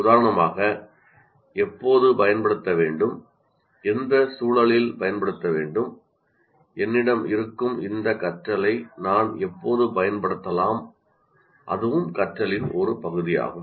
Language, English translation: Tamil, For example, when to use, in what context to use, when can I use this particular learning that I have, that is also part of the learning